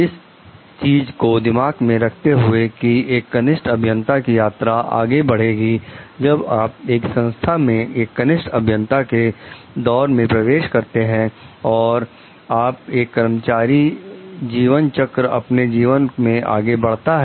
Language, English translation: Hindi, Keeping that thing in mind like understanding the journey forward of a junior engineer after you enter an organization as a junior engineer and as you progress through in your life employee life cycle